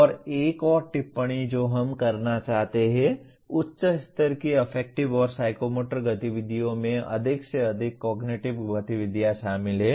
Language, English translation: Hindi, And another comment that we would like to make, higher levels of affective and psychomotor activities involve more and more cognitive activities